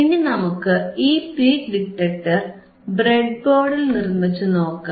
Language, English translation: Malayalam, And let us try to implement this peak detector on the breadboard, on the breadboard